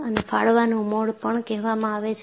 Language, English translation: Gujarati, And, this is also called as Tearing Mode